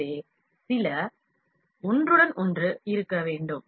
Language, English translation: Tamil, So, some overlap should be there